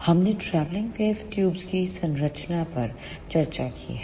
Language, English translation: Hindi, We have discussed the structure of helix travelling wave tubes